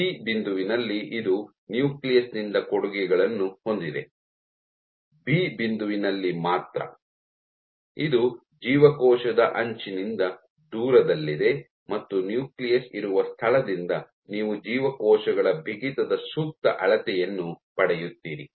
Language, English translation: Kannada, At point C, it has contributions from the nucleus; only at point B, which is far from the cell edge and far from where the nucleus is you get an appropriate measure of cells stiffness